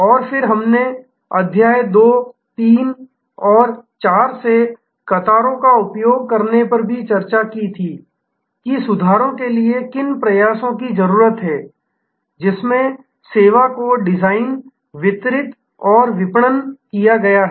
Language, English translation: Hindi, And then, we had also discussed using the queues from chapter 2, 3 and 4 that what efforts are therefore needed for improvement in which the service is designed, delivered and marketed